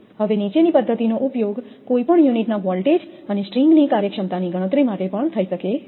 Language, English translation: Gujarati, Now, the following method can also be used to calculate the voltage across any unit and the string efficiency